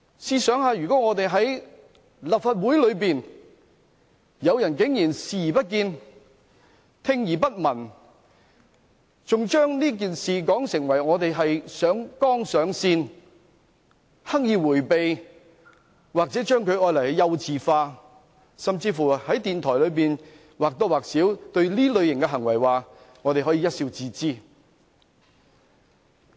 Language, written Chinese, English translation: Cantonese, 試想想在立法會內竟然有人對這種行為視而不見、聽而不聞，還把這件事說成是上綱上線，刻意迴避，或將之"幼稚化"，甚至在電台節目中或多或少表示對這類行為可以一笑置之。, Just imagine how unbelievable it is for some in the Legislative Council to turn a blind eye and a deaf ear to such acts describing the issue as having been escalated to the political plane deliberately averting the issue or dismissing it as childish and even more or less claiming in a radio programme that we might just laugh off such acts